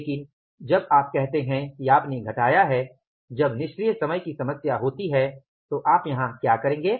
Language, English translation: Hindi, But when you say that when you have subtracted when the idle time problem is there, so what will you do here